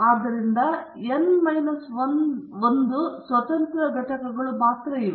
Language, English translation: Kannada, So, there are only n minus 1 independent entities